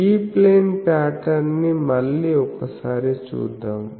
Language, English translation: Telugu, So, let us see in the E plane pattern again